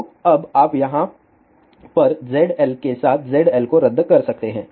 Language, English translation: Hindi, So, now, you can cancel Z L with Z L over here